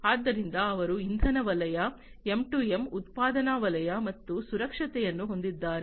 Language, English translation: Kannada, So, they have the energy sector, M2M, manufacturing sector, and safety